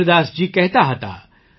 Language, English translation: Gujarati, Kabirdas ji used to say,